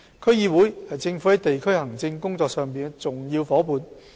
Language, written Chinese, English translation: Cantonese, 區議會是政府在地區行政工作上的重要夥伴。, DCs are significant partners of the Government in district administration